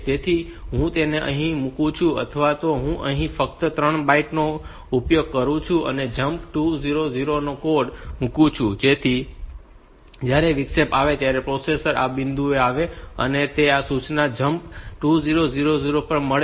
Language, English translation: Gujarati, So, I put or I use only three bytes here and put the code of jump 2000, so that when the interrupt occurs processor will come to this point